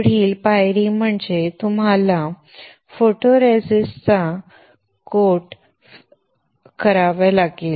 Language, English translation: Marathi, The next step is you have to spin coat the photoresist